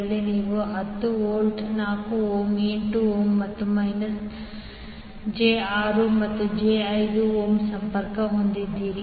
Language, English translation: Kannada, Wwhere you have 10 volt, 4 ohm,8 ohm and minus j 6 and j 5 ohm connected